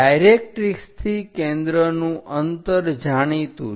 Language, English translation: Gujarati, The distance from focus from the directrix is known